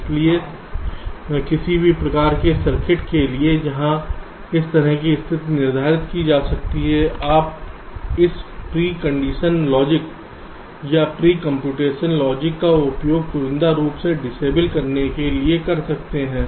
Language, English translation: Hindi, so for any kind of circuit where this kind of condition can be determined, you can use this pre condition logic or pre computation logic to selectively disable the inputs